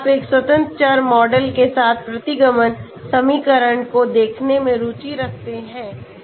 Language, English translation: Hindi, If you are interested in looking at regression equation with one independent variable model okay